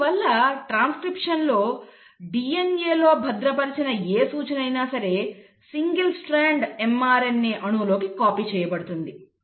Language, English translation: Telugu, So in transcription, whatever instruction which was stored in the DNA has been copied into a single stranded mRNA molecule